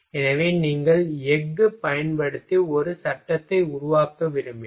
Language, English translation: Tamil, So, suppose that if you want to make a frame using steel